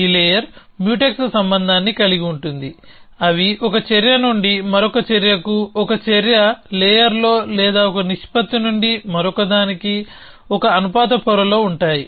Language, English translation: Telugu, This layer will have Mutex relation, they are from one action to another, in an action layer or from one proportion to another in a, in a proportion layer